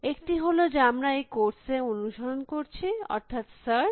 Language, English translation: Bengali, One is the one that we are following in this course, which is search